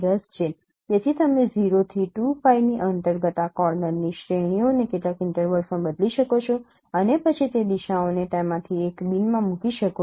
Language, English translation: Gujarati, So you can discretize this range of this angles varying from 0 to 2 pi into some intervals which are which we are calling as bin and then put those directions into one of those no bids